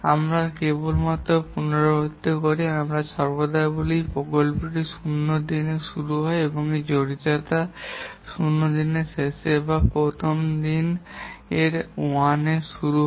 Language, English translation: Bengali, Let me just repeat here that we always say that the project starts in day zero and the implication of that is end of day zero or start of day one